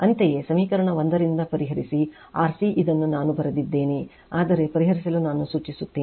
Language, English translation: Kannada, Similarly, from equation one solve for c this is I have written, but I suggest you to solve